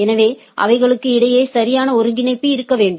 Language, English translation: Tamil, So, there should be a proper coordination between them right